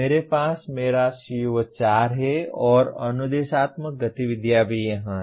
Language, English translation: Hindi, I have my CO4 and instructional activities are also in this here